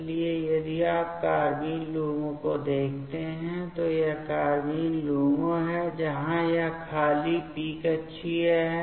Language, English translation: Hindi, So, if you see the carbene LUMO, so this is the carbene LUMO, where this empty p orbital is there